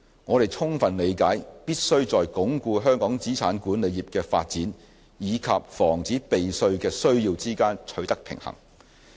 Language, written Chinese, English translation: Cantonese, 我們充分理解到，必須在鞏固香港資產管理業的發展與防止避稅的需要之間取得平衡。, We fully understand that there is a need to strike a balance between consolidating the development of the asset management industry in Hong Kong and having the need to prevent tax avoidance